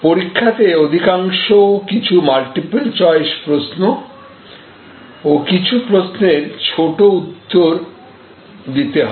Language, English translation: Bengali, The examination will mostly have some multiple choice questions and some questions demanding short answers